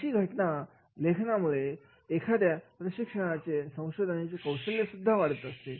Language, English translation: Marathi, In fact, writing cases can enrich one's teaching and research